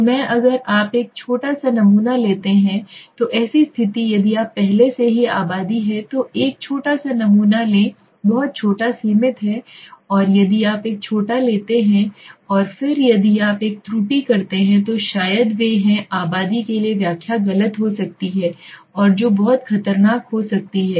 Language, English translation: Hindi, So in such a condition if you take a let us say if you take a small sample already there is a population is very small is limited and if you take a small and then if you make an error then maybe they are interpretation for the population might go wrong and which can be very dangerous